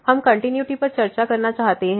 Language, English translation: Hindi, So, we want to discuss the continuity